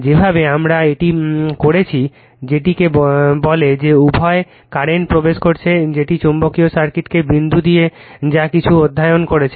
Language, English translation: Bengali, The way we have done it that you you you are what you call both current are entering into that dot the magnetic circuit whatever you have studied, right